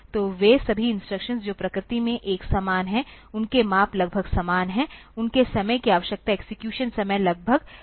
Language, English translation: Hindi, So, all the instructions they are a similar in nature that, their sizes are more or less same, their time needed the execution times are more or less same